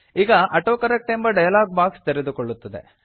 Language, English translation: Kannada, The AutoCorrect dialog box will open